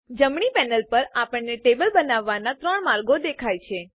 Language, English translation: Gujarati, On the right panel, we see three ways of creating a table